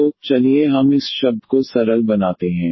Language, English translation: Hindi, So, let us just simplify this term